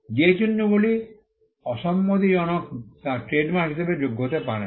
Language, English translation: Bengali, Marks that are disparaging cannot qualify as a trademark